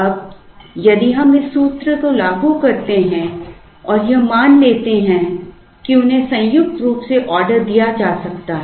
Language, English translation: Hindi, Now, if we apply this formula and assume that, they can be ordered jointly